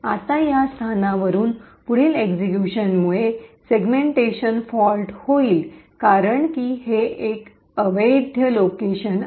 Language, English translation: Marathi, Now further execution from this location would result in a segmentation fault because this is an invalid location